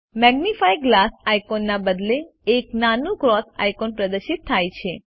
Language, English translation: Gujarati, Instead of the Magnifying glass icon, a small cross icon is displayed